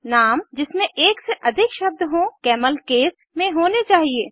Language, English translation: Hindi, Names that contain more than one word should be camelcased